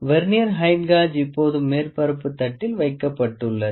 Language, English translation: Tamil, Vernier height gauge is now kept on the surface plate